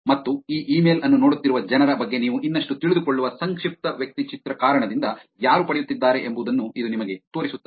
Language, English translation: Kannada, And it would also show you who are the people who are getting the, because of the profile you get to know more about the people who are getting to see this email